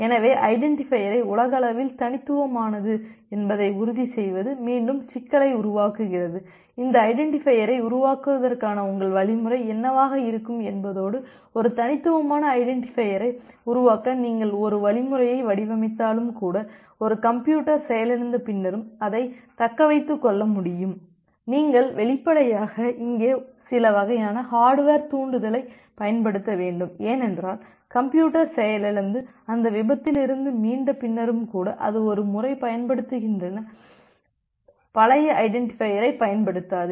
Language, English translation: Tamil, So, ensuring that identifier is unique globally, again the problem is that what would be your algorithm to generate that identifier and even if you design an algorithm to generate a unique identifier, which will be able to sustain even after a system is getting crashed, you have to obviously, use certain kind of hardware trigger here because you want to initiate that even after the system get crashed and recover from that crash, it will not use the old identifier that is being utilized once